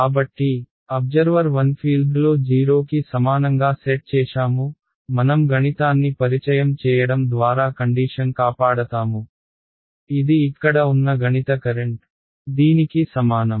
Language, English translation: Telugu, So, observer 1 set the fields equal to 0 that is alright I save the situation by introducing a mathematical remember this is a mathematical current over here which is equal to this